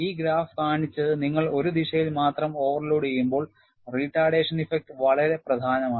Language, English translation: Malayalam, And what this graph showed was, when you have overload only in one direction, the retardation effect is very significant